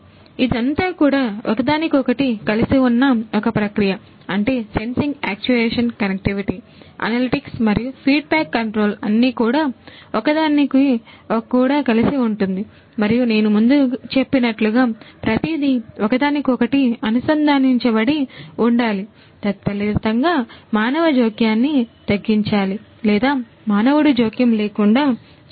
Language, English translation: Telugu, So, it is a very you know it is a very tied up kind of loop with everything put together sensing, actuation, connectivity then analytics and feedback control everything put together and everything remember one thing that everything is connected and consequently, there has to be reduced human intervention or no human intervention as I said before